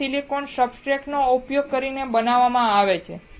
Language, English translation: Gujarati, It is manufactured using the silicon substrate